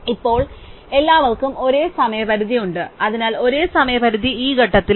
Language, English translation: Malayalam, Now, all have the same deadline, so the same deadline is at this point